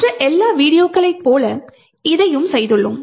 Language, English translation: Tamil, Just like all the other videos that we have done